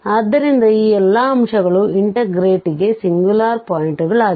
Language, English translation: Kannada, So, all these points are going to be the singular points for this integrant